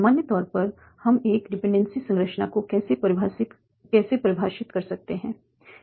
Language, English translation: Hindi, So in general, how we can define a dependency structure